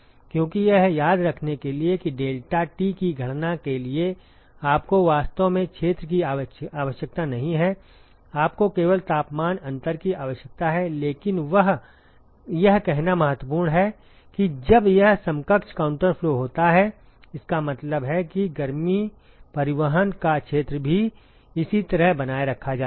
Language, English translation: Hindi, Because to remember that for calculating deltaT you really do not need area you only need the temperature differences, but it is important to say that when it is equivalent counter flow; it means that the area of heat transport is also maintained similar